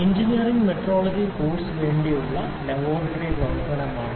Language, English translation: Malayalam, This is the laboratory demonstration for the course engineering metrology